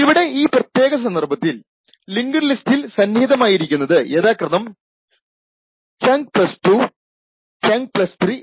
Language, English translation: Malayalam, So in this particular case the linked lists would be present at the locations chunk plus 2 and chunk plus 3 respectively